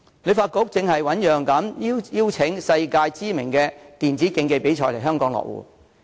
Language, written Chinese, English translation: Cantonese, 旅發局正醞釀邀請世界知名的電子競技比賽來港落戶。, HKTB is now planning to invite organizers of world - renowned electronic competitive sports to host their events in Hong Kong